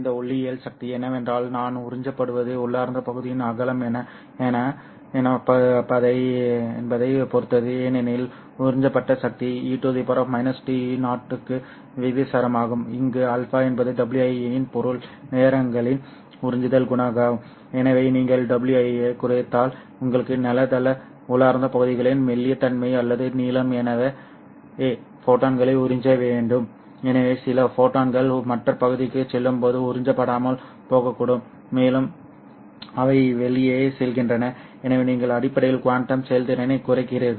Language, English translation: Tamil, But this optical power is that is absorbed depends on what is the width of the intrinsic region because the absorbed power is proportional to e to the power minus alpha where alpha is the absorption coefficient of the material times w i so if you reduce w i you don't have good thickness or a length of the intrinsic regions so as to absorb the photons so some photons might simply be not absorbed and pass on and onto the other region and they just go away